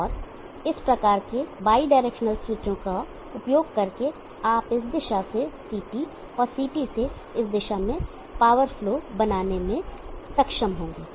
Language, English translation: Hindi, And by using these kinds of bi directional switches you will be able to make power flow from this direction to CT and to this direction